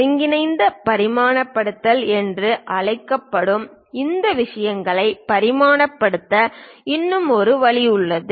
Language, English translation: Tamil, There is one more way of dimensioning these things called combined dimensioning